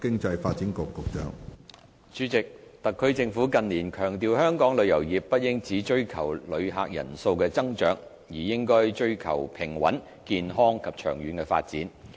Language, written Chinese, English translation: Cantonese, 主席，特區政府近年強調香港旅遊業不應只追求旅客人數的增長，而應追求平穩、健康及長遠的發展。, President in recent years the Government has emphasized that the tourism industry in Hong Kong should not merely look for increase in tourists figures but instead to pursue a balanced healthy and sustainable development